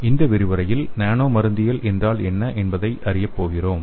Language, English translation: Tamil, So in this lecture we are going to learn what nano pharmacology is